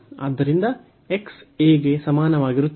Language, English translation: Kannada, So, x is equal to a